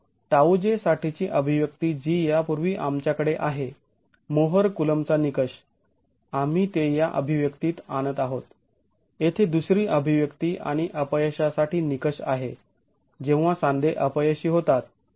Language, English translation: Marathi, So this expression for tau j that we have earlier the more coolum criterion we bring that this expression, the second expression here and have the criterion for failure when the joint fails